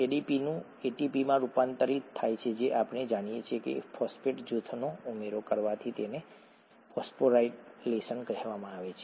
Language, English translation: Gujarati, ADP getting converted to ATP we know is by addition of a phosphate group, it is called phosphorylation